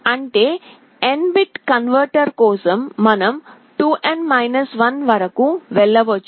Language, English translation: Telugu, For an N bit converter you can go up to 2N 1